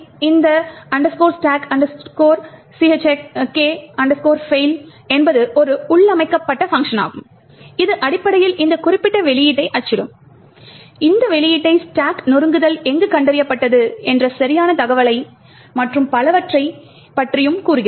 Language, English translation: Tamil, Now stack check fail is a built in function which essentially would print out this particular output which tells you the exact information about where the stack smashing was detected and so on